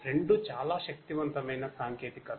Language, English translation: Telugu, Both are very powerful technologies